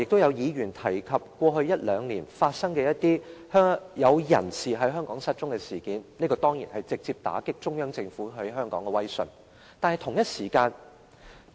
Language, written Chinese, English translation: Cantonese, 有議員剛才提及過去一兩年發生的某些人在香港失蹤的事件，這當然直接打擊中央政府在香港的威信。, Just now some Members mentioned the incidents of certain persons disappearing from Hong Kong in the past couple of years . These certainly dealt a direct blow to the prestige of the Central Government in Hong Kong